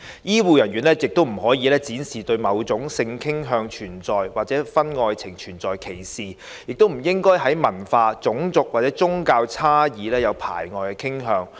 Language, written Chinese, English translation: Cantonese, 醫護人員不可以展示對某種性傾向或婚外情存在歧視，亦不應該在文化、種族或宗教差異上有排外的傾向。, The health care personnel cannot display any discrimination against certain sexual orientations or extramarital affairs and should not show any orientation against people who are culturally racially or religiously different from them